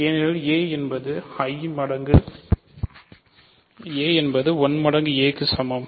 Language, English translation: Tamil, So, a is equal to a plus 0 right